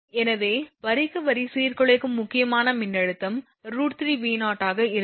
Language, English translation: Tamil, Therefore, line to line disruptive critical voltage will be root 3 V0